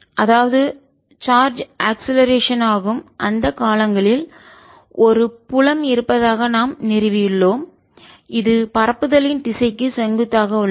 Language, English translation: Tamil, so we have established that there exists a field, in those times when the charge is accelerating, which is perpendicular to the direction of propagation